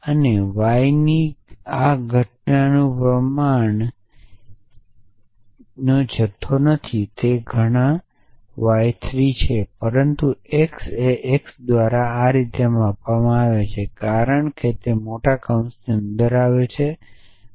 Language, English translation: Gujarati, And this occurrence of y goes not have a quantify so this occurrence y is 3, but x is quantified by x in likewise that x is quantified by this end, because they come within the larger brackets